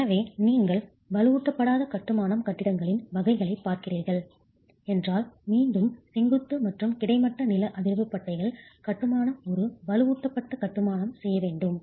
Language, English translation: Tamil, So, if you were looking at categories of unreinforced masonry buildings, again, the vertical and horizontal seismic bands do not make the masonry or reinforced masonry